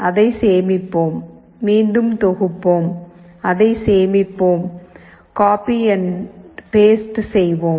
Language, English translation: Tamil, Let us save it, compile it again and we save this, copy, paste